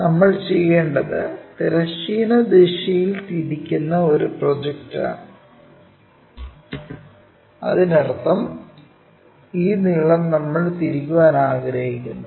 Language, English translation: Malayalam, What we want to do is project that one rotate it by horizontal direction; that means, this length we want to really rotate it